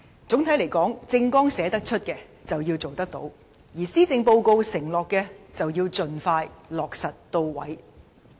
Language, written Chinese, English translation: Cantonese, 總體而言，政綱的承諾要履行，而施政報告的措施要盡快落實。, On the whole she has to honour the pledges stated in her Election Manifesto and implement the measures stated in the Policy Address as soon as possible